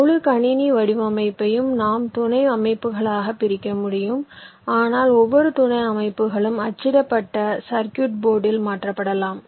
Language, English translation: Tamil, we can partition into subsystems, but each of the subsystems can be possibly be mapped into a printed circuit board